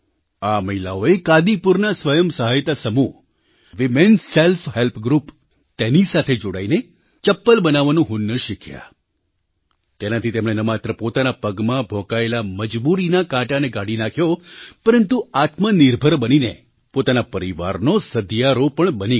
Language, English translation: Gujarati, These women aligned withthe women selfhelp group of Kadipur, joined in learning the skill of making slippers, and thus not only managed to pluck the thorn of helplessness from their feet, but by becoming selfreliant, also became the support of their families